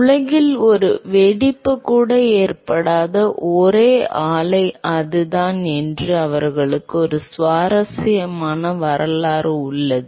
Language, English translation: Tamil, And they have an interesting history that that is the only plant in the world where there has not been a single explosion